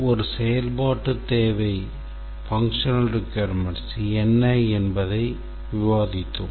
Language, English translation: Tamil, We are discussing what exactly is a functional requirement